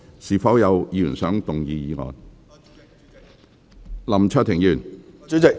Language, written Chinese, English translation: Cantonese, 是否有議員想動議議案？, Does any Member wish to move the motion?